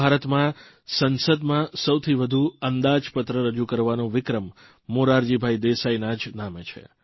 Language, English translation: Gujarati, In Independent India, the record of presenting the budget the maximum number of times is held by Morarjibhai Desai